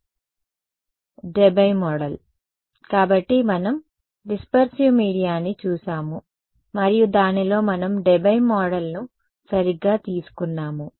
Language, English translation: Telugu, Debye Debye model right; so, we looked at dispersive media and in that we took the Debye model right